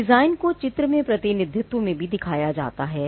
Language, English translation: Hindi, The design is also shown in a graphical representation